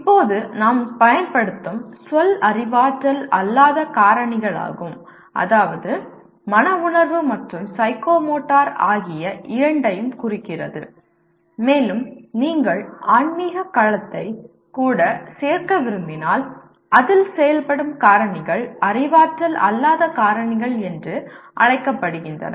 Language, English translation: Tamil, Now the word we use is non cognitive factors that means both affective and psychomotor and if you wish to add even spiritual domain; activities factors in that are called non cognitive factors